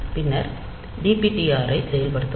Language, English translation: Tamil, Then implement dptr